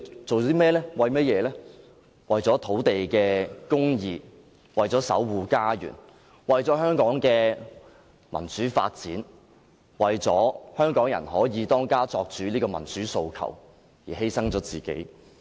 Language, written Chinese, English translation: Cantonese, 是為了土地公義，為了守護家園，為了香港的民主發展，為了香港人可以"當家作主"這個民主訴求而犧牲自己。, For justice in land use for defending their homes for the democratization of Hong Kong and for the democratic aspiration of making Hong Kong people the master of their own house . For all this they have chosen to sacrifice themselves